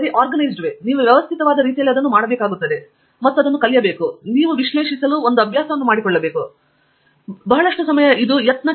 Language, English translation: Kannada, Whatever you are doing, you have to do it in a systematic way and learn to and also, make it a habit to analyze what you get out of and then it is a lot of a trial and error